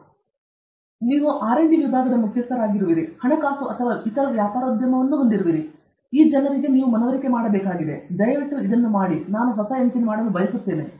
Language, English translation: Kannada, So, you are a head of a R&D division, you have your finance and other marketing all these people you will have to convince that please make this, I want to make a new engine